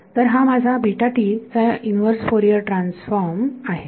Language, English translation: Marathi, So, if I want to take the inverse Fourier transform of this